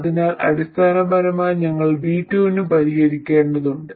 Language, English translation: Malayalam, So essentially we have to solve for V2